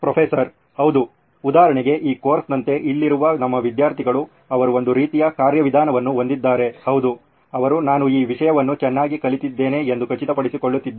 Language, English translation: Kannada, Yeah, like this course for example, for our students here they have a sort of mechanism that they are making sure that yes, I have learnt this topic well